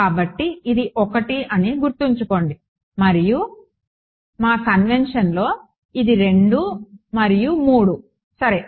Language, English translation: Telugu, So, remember this was 1 and in our convention this was 2 and 3 ok